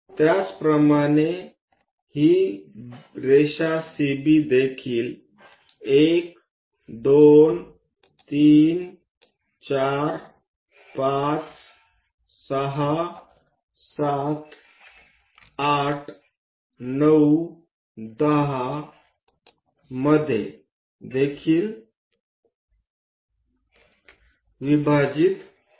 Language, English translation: Marathi, Similarly divide this line CB also; 1, 2, 3, 4, 5, 6, 7, 8, 9 and 10